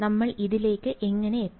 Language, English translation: Malayalam, How did we arrive at this